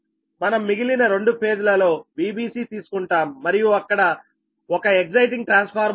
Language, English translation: Telugu, we take in other two phases, v b c, and one exciting transformer is there from that